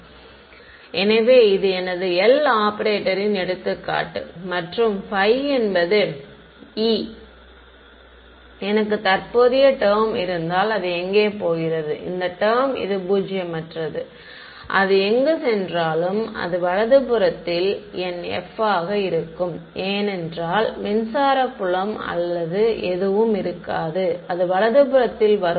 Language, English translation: Tamil, So, this is an example of my L operator and this is my phi ok, if I had a current term where do it go; this J term it is a non zero where do it go it would be my f on the right hand side right because there would be no electric field or anything it would come on the right hand side